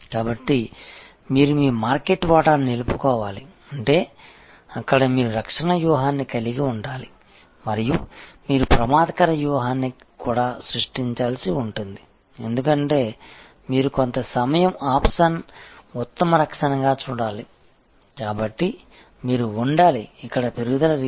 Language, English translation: Telugu, So, you have to retain your market share, which means that there you have to have a defensive strategy and you may have to also create an offensive strategy, because you have to see some time offense is the best defense, so you have to be in a mode of growth here